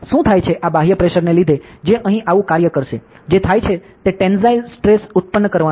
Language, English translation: Gujarati, So, what happens is, due to this external pressure that is going to act here like this, what happens is a tensile stress is going to be produce